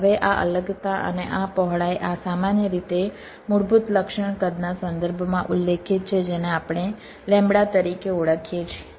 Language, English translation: Gujarati, now, these separations and these width, these are typically specified in terms of the basic feature size we refer to as lambda